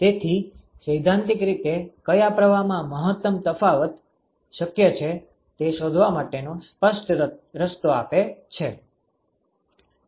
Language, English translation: Gujarati, So, that gives you a very clear way to find out which stream is theoretically possible to have maximal temperature difference